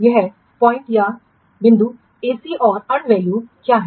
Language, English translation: Hindi, This point AC and what is the earned value